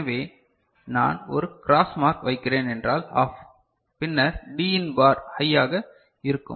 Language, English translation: Tamil, So, I put a cross mark means OFF and then Din bar will be high